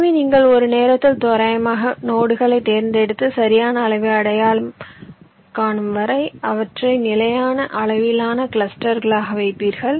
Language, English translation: Tamil, this says that you have a set of nodes, so you randomly select the nodes one at a time, and you go on placing them into clusters of fixed size until the proper size is reached